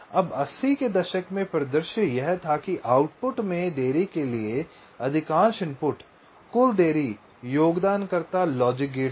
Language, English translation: Hindi, in the eighties the scenario was that most of the input to output delay, the total delay, the contributor was the logic gate, roughly this